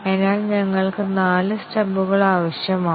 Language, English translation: Malayalam, So, we need four stubs